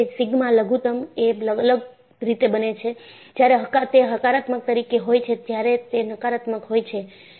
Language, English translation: Gujarati, So, the sigma minimum will become differently; when it is positive, when it is negative